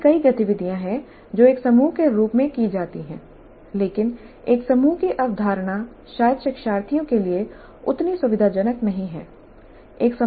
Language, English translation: Hindi, There are several activities which are done as a group but the concept of a group itself may be not that comfortable for the learners